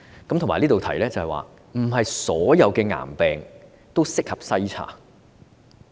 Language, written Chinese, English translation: Cantonese, 此外，我亦想在此指出，並非所有癌病均適合篩查。, In addition I would like to point out that not all cancers are suitable for screening